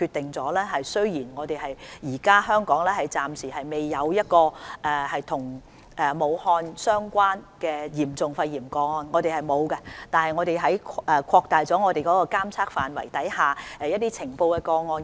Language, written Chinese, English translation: Cantonese, 雖然香港暫時仍未有任何與武漢肺炎相關的嚴重個案——香港是沒有的——但我們很快便決定擴大監測範圍，而且每天通報已呈報的個案數字。, Although at the moment there is not any serious case in Hong Kong related to Wuhan pneumonia―there is none in Hong Kong―we have promptly decided to expand the scope of surveillance and notification of the number of reported cases will be given every day